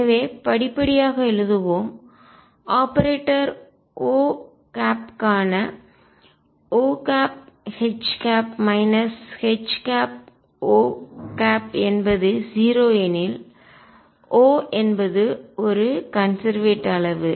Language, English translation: Tamil, So, if let us write step by step if O H minus H O for operator O is 0 O is a conserved quantity